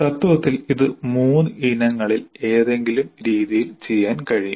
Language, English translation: Malayalam, In principle, it can be done by any of the three varieties